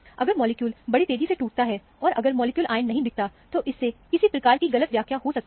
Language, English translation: Hindi, If the molecule fragments very rapidly, if your molecular ion is not seen, this could be leading to some kind of a misinterpretation